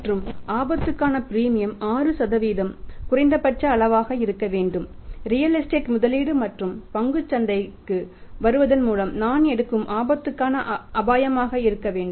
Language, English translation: Tamil, And 6 % should be minimum risk the premium for the risk which I am taking by same coming to the stock market, investing in the real estate